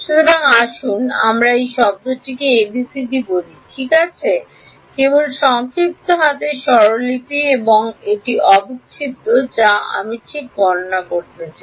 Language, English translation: Bengali, So, let us call this term say a b c d ok; just short hand notation and this is the integral that I want to calculate ok